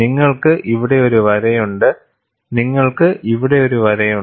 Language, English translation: Malayalam, You have a line here; you have a line here; you have a line here and also 2 lines here